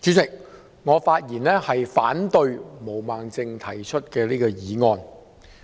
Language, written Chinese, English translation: Cantonese, 主席，我發言反對毛孟靜議員提出的議案。, President I speak against the motion moved by Ms Claudia MO